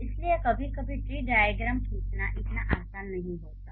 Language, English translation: Hindi, So the tree diagrams sometimes are not that easy to draw